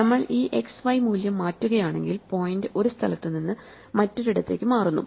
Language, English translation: Malayalam, And if we change this x and y value, then the point shifts around from one place to another